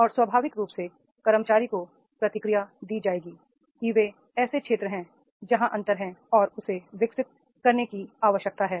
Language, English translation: Hindi, And naturally the feedback to the employee will be given that these are the areas where the gap is there and he is required to develop